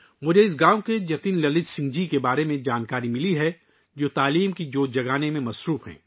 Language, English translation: Urdu, I have come to know about Jatin Lalit Singh ji of this village, who is engaged in kindling the flame of education